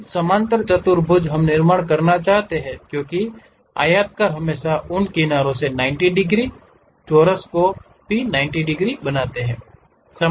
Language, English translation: Hindi, Now, parallelogram we would like to construct because rectangles always make those edges 90 degrees, squares also 90 degrees